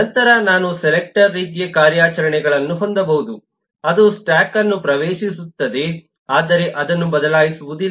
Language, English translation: Kannada, then I could have the selector kind of operations, which in which accesses the state but does not change